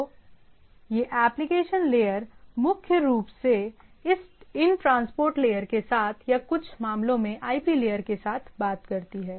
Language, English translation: Hindi, So, these application layer can primarily talks with these transport layer or in some cases in some of the applications it can talk with the directly to the IP layer